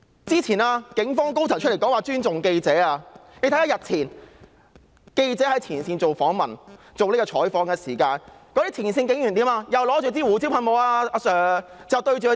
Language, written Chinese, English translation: Cantonese, 早前警方高層出來表示會尊重記者採訪，但日前記者在前線採訪的時候，前線警察卻手持胡椒噴霧向着記者雙眼。, Is it not ridiculous? . Senior police officer made a public statement earlier saying that the Police Force respects the work of reporters . However days ago frontline police officers were found pointing their pepper sprays at the eyes of reporters covering in the frontline scene